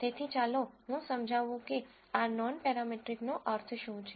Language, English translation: Gujarati, So, let me explain what this non parametric means